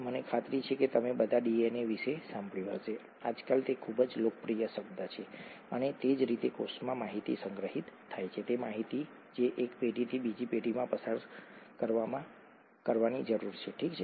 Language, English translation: Gujarati, All of you, I’m sure, would have heard of DNA, it’s a very popular term nowadays and that’s how information is stored in the cell, the information that needs to passed on from one generation to another generation, okay